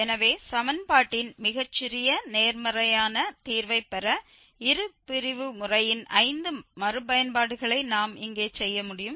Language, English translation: Tamil, So, we can perform here five iterations of the bisection method to obtain the smallest positive root of the equation